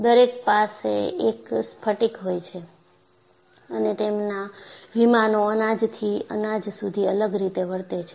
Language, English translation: Gujarati, See, each one has a crystal and their planes are oriented differently from grain to grain